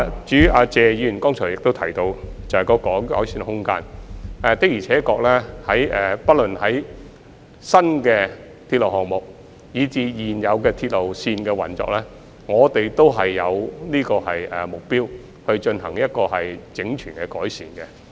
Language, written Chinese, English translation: Cantonese, 至於謝議員剛才亦提到有改善的空間，的而且確，不論是新鐵路項目，還是現有鐵路線的運作，我們均致力進行整全的改善。, As for the room for improvement mentioned by Mr TSE just now we are indeed committed to making comprehensive improvements to both new railway projects and the operation of existing railway lines